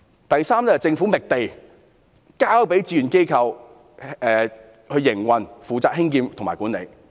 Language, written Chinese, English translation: Cantonese, 第三，政府覓地，交由志願機構負責興建、營運及管理。, Third the Government will get the land and voluntary agencies will undertake building operation and running of the scheme